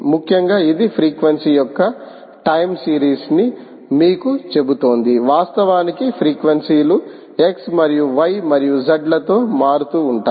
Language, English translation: Telugu, essentially, its telling you that time series of the frequency, ok, how, the how the frequencies actually varying is the same with and x and y and z